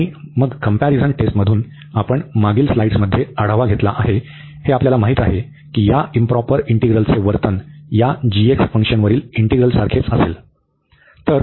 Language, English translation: Marathi, And then from the comparison test, we have just reviewed in previous slides, we know that the behavior of this integral this improper integral will be the same as the behavior of the integral over this g x function